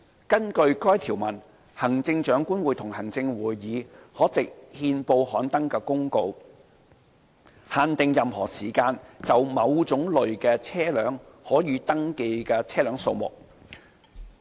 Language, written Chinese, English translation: Cantonese, 根據該條文，行政長官會同行政會議可藉憲報刊登的公告，限定任何時間就某種類車輛可予登記的車輛數目。, According to that provision the Chief Executive - in - Council may by publication of notice in the Gazette limit the number of a class of vehicle which may at any time be registered